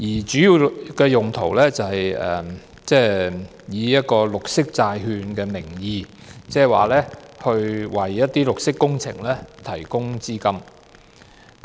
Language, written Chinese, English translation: Cantonese, 主要是以綠色債券的名義，為一些綠色工程提供資金。, The main purpose is to finance green projects in the name of green bonds